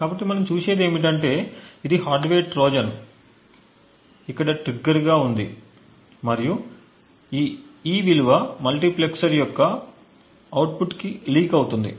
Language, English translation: Telugu, So what we see is that this is our hardware Trojan, we have the trigger over here and this E value is what gets leaked to the output of the multiplexer